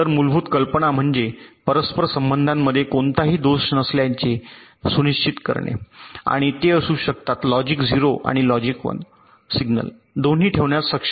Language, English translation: Marathi, so the basic idea is to ensure that there is no fault in the interconnections and they can be able to carry both logic zero and logic one signals